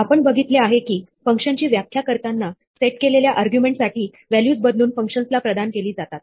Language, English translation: Marathi, We have seen that we pass values to functions by substituting values for the argument set when defining the function